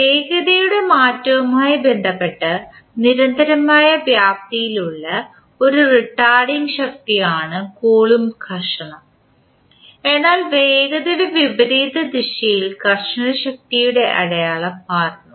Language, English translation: Malayalam, The Coulomb friction is a retarding force that has constant amplitude with respect to the change of velocity but the sign of frictional force changes with the reversal direction of the velocity